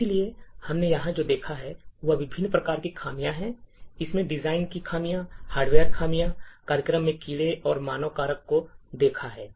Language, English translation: Hindi, So, what we have seen over here are different types of flaws, we have seen design flaws, hardware flaws, bugs in the program and the human factor